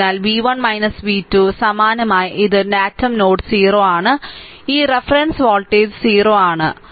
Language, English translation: Malayalam, So, v 1 minus v 2, similarly this is your datum node O, this reference voltage is 0, right